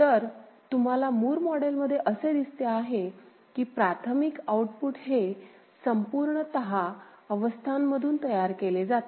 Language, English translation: Marathi, So, that is what you see in Moore model that the primary outputs are generated solely from the states ok